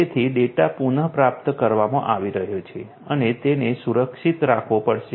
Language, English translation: Gujarati, So, the data is being retrieved and has to be protected